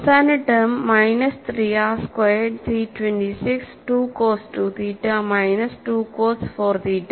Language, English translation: Malayalam, And the last term is minus 3 r squared C 262 cos 2 theta minus 2 cos 42